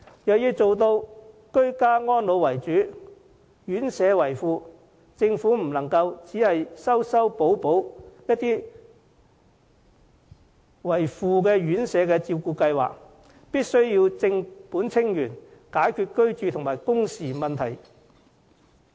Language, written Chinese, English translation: Cantonese, 若要做到居家安老為主，院舍為輔，政府不能只是修修補補一些作為輔助的院舍照顧計劃，必須正本清源，解決居住和工時問題。, If priority is to be given to home care with residential care as supplement the Government instead of simply patching up residential care schemes that are supposed to be serving a supplementary role must tackle the problem at root by solving the problems of housing and working hours